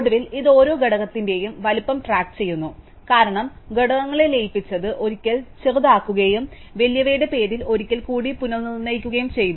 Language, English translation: Malayalam, And finally, it keeps track of the size of each component, because we merged components by taking smaller once and relabeling them with the name of the bigger once